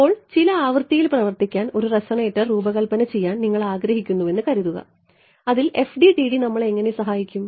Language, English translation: Malayalam, Now, supposing you want to design a resonator to work at some frequency how will FDTD will help us in that